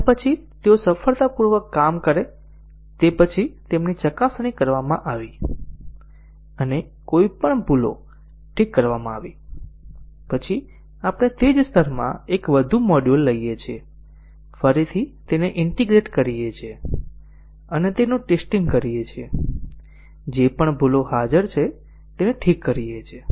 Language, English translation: Gujarati, And then after they work successfully they have been tested and any bugs fixed, then we take one more module in the same layer, again integrate and test it, fix any bugs that are present